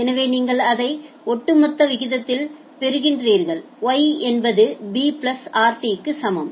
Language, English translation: Tamil, So, you are getting it at a rate of the cumulative rate is Y equal to b plus rt